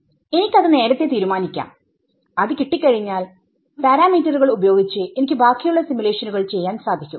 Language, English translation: Malayalam, I decide that before and then once I obtain that then I do the rest of the simulations with those parameters